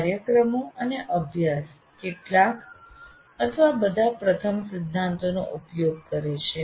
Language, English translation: Gujarati, So programs and practices use some are all of the first principles